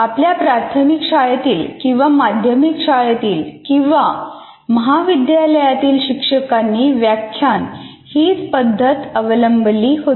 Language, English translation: Marathi, Even during our class, even primary school or secondary school or in the colleges where we studied, our teachers followed lecturing method